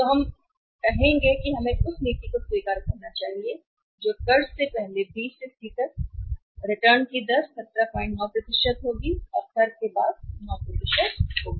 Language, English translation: Hindi, So, we would say that we should accept the policy that is from B to C here before tax will be expected rate of return will be 17